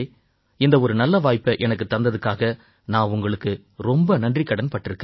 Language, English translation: Tamil, I am very grateful to you for giving me this opportunity